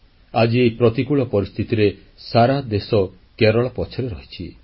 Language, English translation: Odia, In today's pressing, hard times, the entire Nation is with Kerala